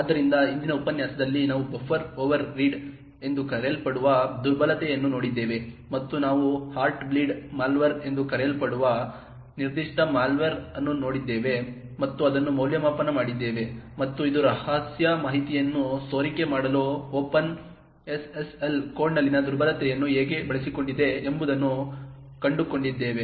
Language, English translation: Kannada, So in the previous lecture we had looked at vulnerability known as Buffer overread and we had looked at a particular malware known as the Heartbleed malware and evaluated it and found out how this had utilised a vulnerability in the Open SSL code to leak secret information from a server to a client